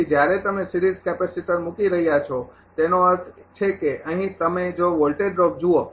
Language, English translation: Gujarati, So, when you are putting series capacitor means that; here you look the if voltage drop